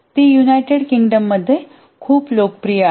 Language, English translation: Marathi, It's very popular in the United Kingdom